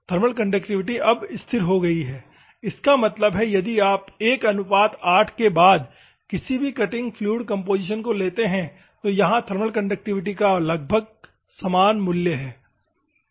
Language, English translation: Hindi, The thermal conductivity is now stabilized; that means, if you take any cutting fluid composition after 1 is to 8, it is approximately same value of thermal conductivity